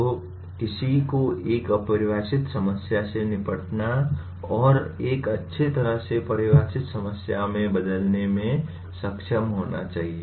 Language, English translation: Hindi, So one should be able to tackle an ill defined problem and convert into a well defined problem